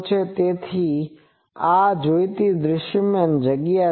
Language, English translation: Gujarati, So, this is my visible space I want